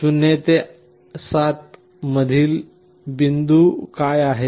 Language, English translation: Marathi, What is the middle point of 0 to 7